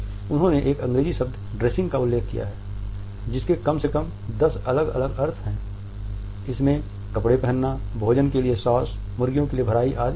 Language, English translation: Hindi, He has referred to an English word dressing which has at least ten different meanings including the act of putting on clothing, a sauce for food, stuffing for a fowl etcetera